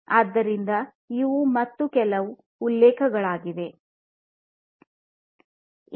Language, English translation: Kannada, So, these are again some of the references